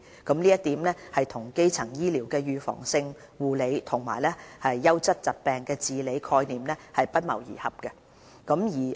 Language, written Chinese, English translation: Cantonese, 這一點正與基層醫療的預防性護理和優質疾病治理的概念不謀而合。, This is essentially in line with the concepts of preventive care and quality disease treatment underlining primary health care